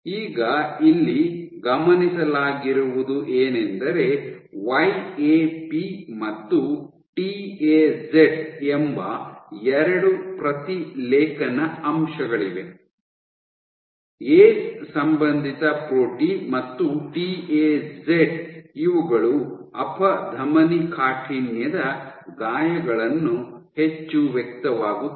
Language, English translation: Kannada, Now what has been observed is there are 2 transcriptional factors YAP and TAZ; ace associated protein and TAZ these are highly expressed in atherosclerosis lesions